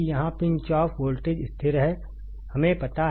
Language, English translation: Hindi, Here Pinch off voltage is constant; we know it